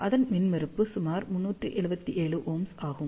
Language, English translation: Tamil, The impedance of that is about three 377 ohm